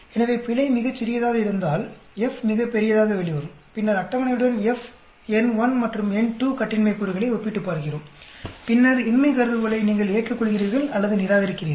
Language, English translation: Tamil, So, if the error is very small, F will come out to be very large, and then, we compare with the table, F for n1 and n2 degrees of freedom, and then, you accept or reject the null hypothesis